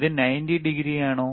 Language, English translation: Malayalam, Ist isit 90 degree